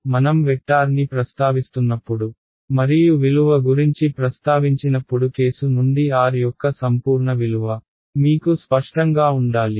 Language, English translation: Telugu, So, it should be clear to you from the context when I am referring to the vector and when I am referring to the value the absolute value of r ok